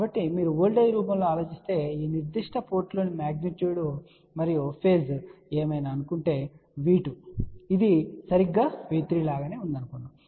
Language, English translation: Telugu, So, if you think in the form of the voltage suppose whatever is the magnitude and the phase at this particular port let us say V2 that will be exactly same as V3